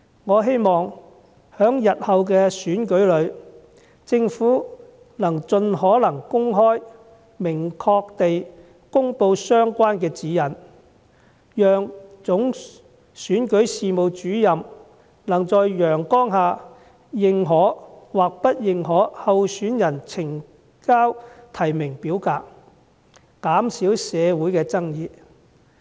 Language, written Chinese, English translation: Cantonese, 我希望在日後的選舉中，政府盡可能公開及明確地公布相關指引，讓總選舉事務主任能在陽光下認可或不認可候選人呈交的提名表格，以減少社會上的爭議。, I hope the Government will make public the relevant guidelines as far as possible in future elections so that the Chief Electoral Officer can validate or reject nomination forms submitted by candidates in a transparent manner thereby reducing disputes in society